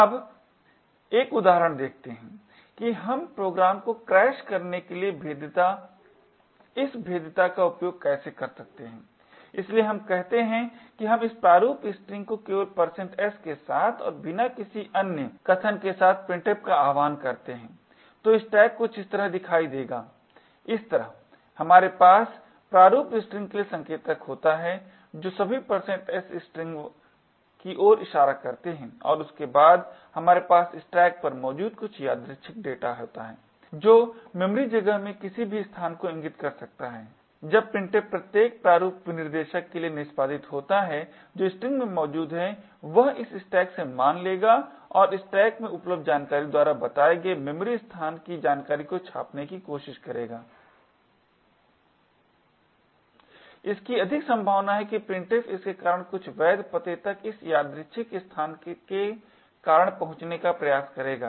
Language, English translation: Hindi, vulnerability to maybe crash the program, so let us say we invoke printf with this format string like this with only % s and with no other arguments passed, so the stack would look something like this way, we would had the pointer to the format string which is pointing to a string containing all the % s and after that we have some arbitrary data present on the stack which could point to any location in the memory space as printf executes for every format specifier that is present in the string it would pick a value from this stack and try to print the contents of the memory location pointed to by that content of the stack it is quite likely that printf would try to access some legal address due to this arbitrary location that it is trying to read as a result it is most likely that the particular program which comprises of printf like this would end up crashing when this printf executes